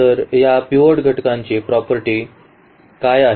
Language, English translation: Marathi, So, what is the property of this pivot element